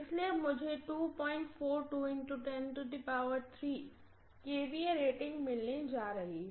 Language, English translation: Hindi, So I am going to have the kVA rating to be 2